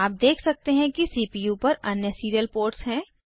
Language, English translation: Hindi, You may notice that there are other serial ports on the CPU